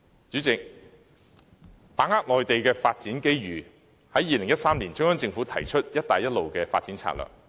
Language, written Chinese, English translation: Cantonese, 主席，為把握內地發展機遇 ，2013 年中央政府提出"一帶一路"發展策略。, President to capitalize on the opportunities of Mainlands development the Central Government proposed in 2013 the development strategy of Belt and Road Initiative